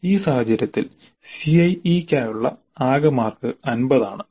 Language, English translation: Malayalam, In this case the total marks for CIA are 50